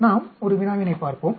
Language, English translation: Tamil, Let us look at a problem